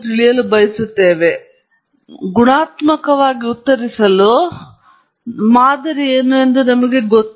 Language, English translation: Kannada, In general, we know, we can answer qualitatively what’s a model